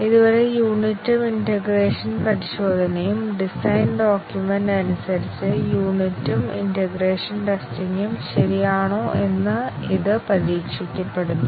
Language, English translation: Malayalam, So far, both unit and integration testing; it is tested as per the design the design document, whether the unit and integration testing alright